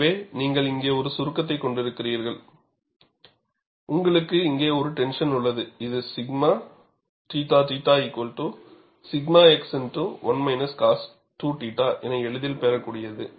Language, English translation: Tamil, So, you have a compression here, and you have a tension here, which is easily obtainable from your expression of sigma theta theta equal to sigma x x into 1 minus 2 cos 2 theta